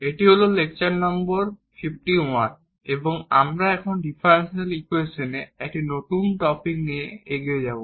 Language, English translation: Bengali, Welcome back so this is a lecture number 51 and we will now continue with a new topic now on differential equations